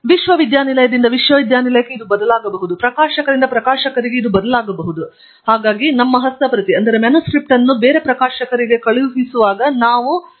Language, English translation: Kannada, This may be varying from university to university and also from a publisher to publisher when we want to send our manuscript for publications